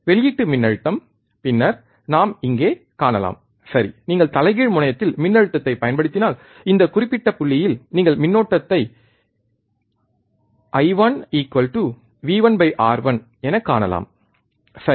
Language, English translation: Tamil, Output voltage, then we can see here, right that if you apply voltage at the inverting terminal, you can see that I the current at this particular point I 1 would be V 1 by R 1, right